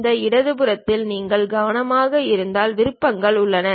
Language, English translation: Tamil, If you are carefully looking at on this left hand side, there are options